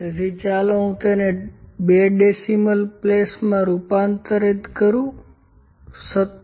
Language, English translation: Gujarati, So, let me convert it into 2 decimal places 17